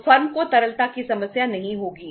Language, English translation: Hindi, So firm will not have the liquidity problem